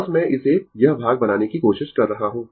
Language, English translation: Hindi, Just I am trying to make it this part, right